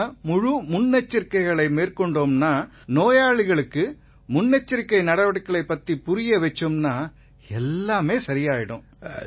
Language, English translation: Tamil, If we observe precautions thoroughly, and explain these precautions to the patient that he is to follow, then everything will be fine